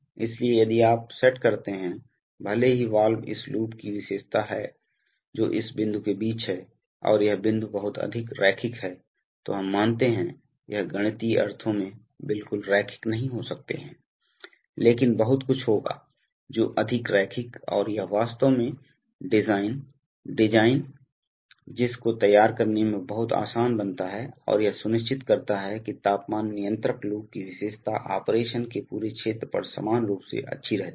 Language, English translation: Hindi, So if you set up then, even if the valve is nonlinear the characteristic of this loop that is between this point and this point are much more linear, let us say, it may not be absolutely linear in a mathematical sense but there will be much more linear and that makes it much easier to actually design the, design and ensure that the characteristic of the temperature control loop remains uniformly good over the, over the whole region of operation